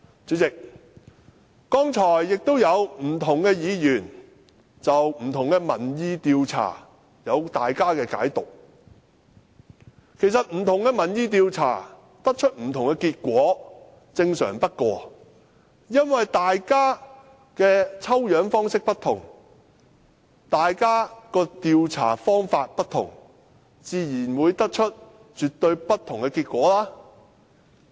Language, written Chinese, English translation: Cantonese, 主席，剛才不同議員就不同民意調查有各自的解讀，其實不同民意調查得出不同的結果，是最正常不過的，因為大家的抽樣方式不同、調查方法不同，自然會得出絕對不同的結果。, President just now different Members have their own interpretation of the opinion polls . It is actually very normal that different opinion polls will lead to different results because their different sampling and surveying methods will naturally arrive at absolutely different results . Mr Christopher CHEUNG says that a survey he conducted with his constituents shows that 90 % of the interviewees are very satisfied or satisfied with the arrangement